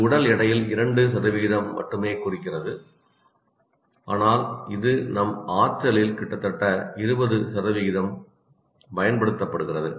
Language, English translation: Tamil, It represents only 2% of the body weight, but it consumes nearly 20% of our calories